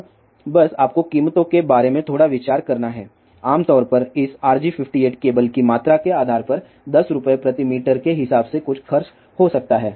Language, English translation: Hindi, Now just to give you little bit idea about the prices, typically this RG 58 cable may cost about something like 10 rupees per meter depending upon the quantity